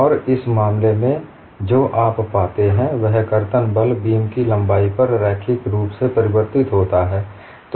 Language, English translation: Hindi, And in this case, what you find is the shear force varies linearly over the length of the beam